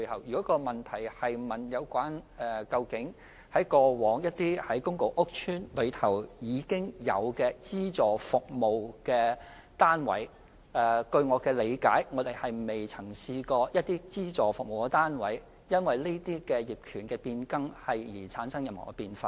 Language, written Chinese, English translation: Cantonese, 如果問題是關於公共屋邨內原有的資助服務單位，據我理解，過往不曾有資助服務單位因為上述的業權變更而出現變化。, If it is about the existing subsidized service units in PRH estates according to my understanding there has not been any change in these subsidized service units after the change in property ownership as previously mentioned